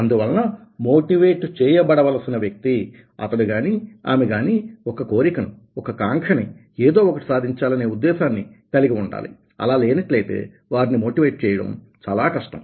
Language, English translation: Telugu, so the person who is suppose to get motivated, he or she must have some desire, some longings, some something to achieve, otherwise, ah, it will be very difficult to motivate